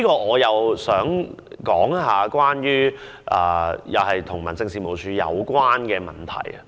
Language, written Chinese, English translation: Cantonese, 我亦想談談與民政事務處有關的問題。, I also wish to discuss an issue related to HAD